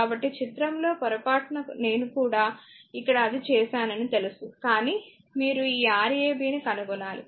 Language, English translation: Telugu, So, in the diagram this you will know by mistake I have made it here also, but for you have to find out this Rab